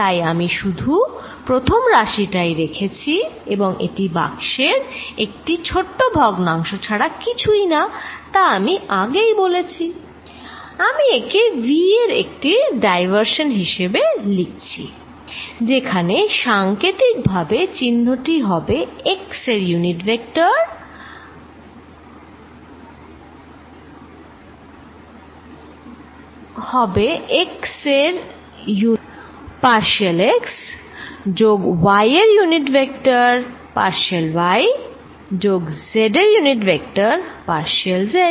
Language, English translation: Bengali, So, I kept only the first order and which is nothing but small volume of this box times what I said earlier, I am going to write it as a diversions of v where, symbolically this symbol is going to be x unit vector partial x plus y unit vector partial y plus z unit vector partial z